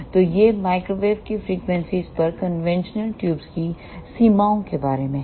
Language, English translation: Hindi, So, this is all about the limitations of conventional tubes at microwave frequencies